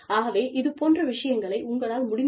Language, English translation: Tamil, So, those things, should be checked, to the extent possible